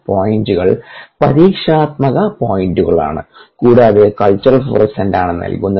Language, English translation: Malayalam, yah, the points are experimental points and the line is given by culture florescence